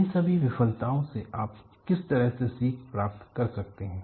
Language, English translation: Hindi, What is the kind oflearning that you could get from all these failures